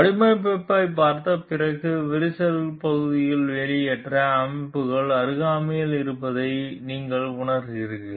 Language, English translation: Tamil, After looking at the design you realize that the cracked portion is in proximity to the exhaust system